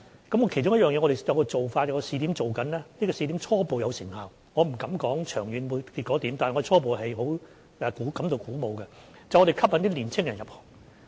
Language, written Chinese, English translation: Cantonese, 我們其中有一個做法，正在進行的試點初步有成效，我不敢說它長遠結果是怎樣，但初步我們是感到鼓舞的，就是吸引青年人入行。, We are working on one of the measures and the pilot scheme underway is effective at this preliminary stage . I do not dare to say about its long - term result but the preliminary result is encouraging . This measure is to attract young people to join the sector